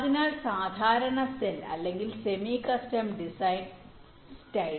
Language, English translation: Malayalam, so standard cell or semi custom design style